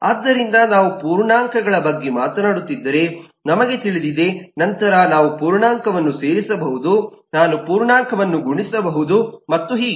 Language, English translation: Kannada, so we know, if we are talking about integers then I can add the integer, I can multiply an integer and so on